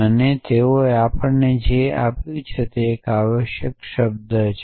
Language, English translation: Gujarati, And what they gave us is a term essentially